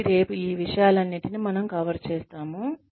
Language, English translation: Telugu, So, we will cover all of these things, tomorrow